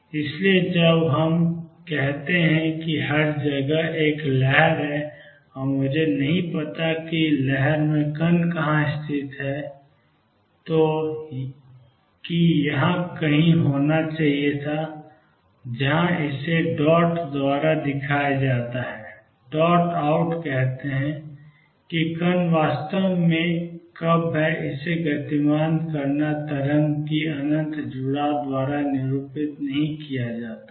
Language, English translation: Hindi, So, when we say that there is a wave all over the place, and I do not know where the particle is located which should have been somewhere here where are show it by the dot, let dot put out says the particle as actually when is moving it is not represented by infinite train of wave